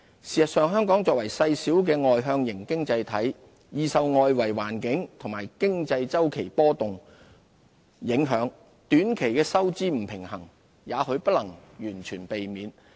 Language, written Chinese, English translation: Cantonese, 事實上，香港作為細小的外向型經濟體，易受外圍環境和經濟周期波動影響，短期的收支不平衡也許不能完全避免。, In fact Hong Kong as a small externally - oriented economy is highly susceptible to the influence of the external environment and cyclical fluctuations and short - term fiscal imbalance is probably inevitable